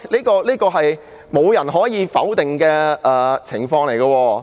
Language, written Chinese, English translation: Cantonese, 這是無人可以否定的情況。, This is a situation that no one can challenge